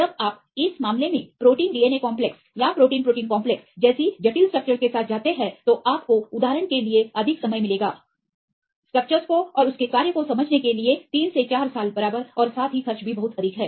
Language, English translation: Hindi, When you go with a complex structures like protein DNA complexes or protein protein complexes right in this case you will get more time for example, three to four years right to understand the structure and function right as well as the expenses also very high